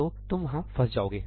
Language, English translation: Hindi, So, you will get stuck there